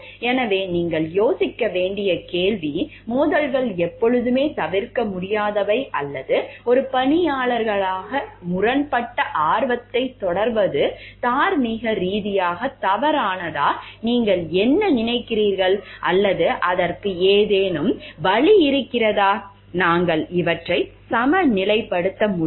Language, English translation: Tamil, So, it is a question for you to ponder on like do you think, like conflicts of interest are always unavoidable or is it morally incorrect to pursue conflicting interest as an employee, what do you think, or is there any way so, that we can balance these